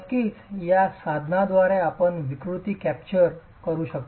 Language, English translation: Marathi, Of course, by instrumenting this, you can capture deformations